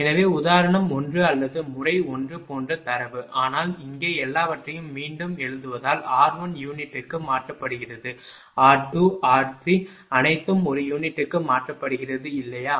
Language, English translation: Tamil, So, data same as example 1 or method 1, but here everything rewriting because r 1 is converted to per unit, r 2 r 3 all are converted to per unit, right